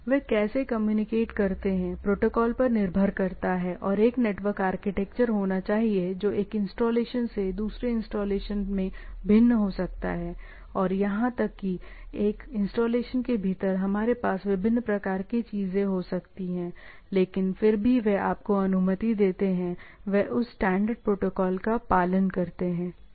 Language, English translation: Hindi, How they communicate is the agreed upon protocols and there should be a network architecture which may vary from installation to installation, and even within a installation, we can have different type of reverse of the things, but nevertheless they allowed you, they follow that standard protocols, right